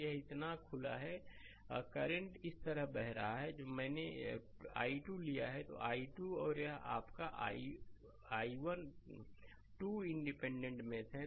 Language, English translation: Hindi, So, this is open so, current is flowing like this here the way I have taken i 2, this is i 2 and this is your i 1 2 independent mesh